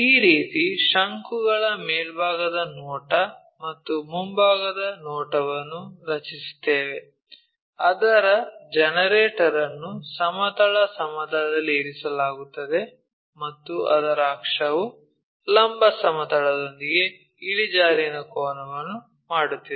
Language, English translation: Kannada, This is the way we draw top view and front view of a cone whose generator is resting on the horizontal plane and its axis is making an inclination angle with the vertical plane